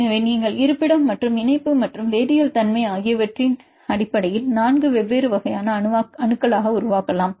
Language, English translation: Tamil, So, if you made it into 4 different types of atoms based on location and the connectivity and the chemical nature